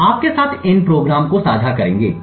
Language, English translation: Hindi, c will also be sharing these programs with you